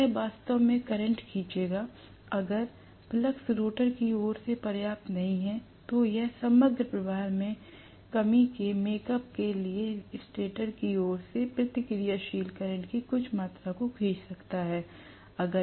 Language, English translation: Hindi, So, it will draw actually, if the flux is not sufficient from the rotor side, it will draw some amount of inductive current or reactive current from the stator side to make up for the shortfall in the overall flux